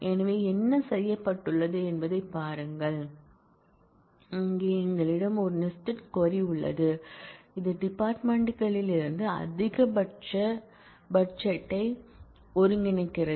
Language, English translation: Tamil, So, look at what has been done, here we have a nested query which aggregates the maximum budget from the departments